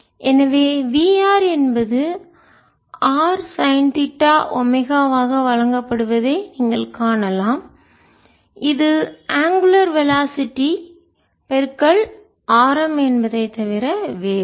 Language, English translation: Tamil, r is is given by r sin theta in to omega ah, which is nothing but the radius in to the angular velocity